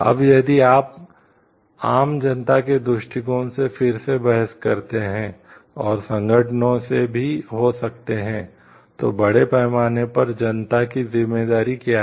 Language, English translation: Hindi, Now, if you argue again for the from the general public s perspective and maybe from the organizations also, they why then the what is the responsibility of the public at large